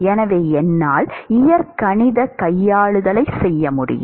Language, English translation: Tamil, So, I can do an algebraic manipulation of this